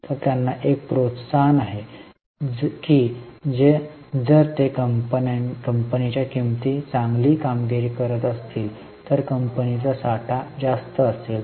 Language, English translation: Marathi, So, they have an incentive that if they are performing well, the prices of the company will, the stock of the company will be high